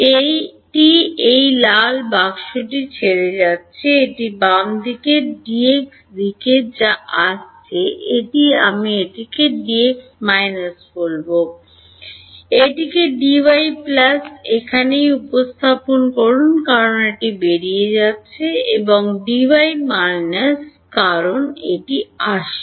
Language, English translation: Bengali, It is leaving this red box, this D x on the left hand side which is coming in I will call it D x minus, this D y over here plus because it is going out and D y minus because it is coming in